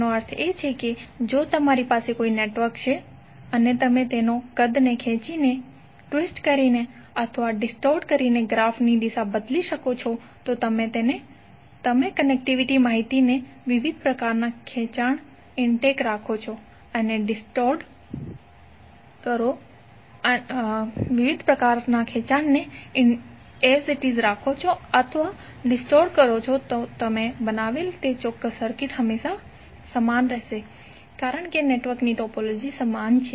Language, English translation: Gujarati, That means that if you have the network and you change the orientation of the graph by stretching twisting or distorting its size if you keep the connectivity information intake all the different types of stretches or distort you have created with that particular circuit will always remain same because the topology of the network is same